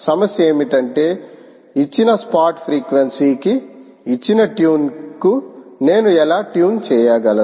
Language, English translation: Telugu, the problem is: how do i tune to a given tune, to a given spot frequency